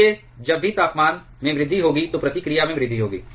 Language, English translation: Hindi, So, whenever there is a rise in temperature there will be a rise in the reactivity